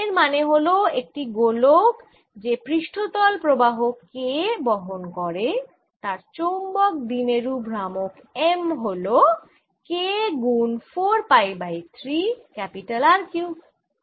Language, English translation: Bengali, this implies that this sphere which carries a surface current of k, has a magnetic moment of the magnitude m equals k times four pi by three r cubed